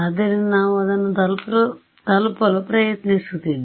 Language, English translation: Kannada, So, we are that is what we are trying to arrive at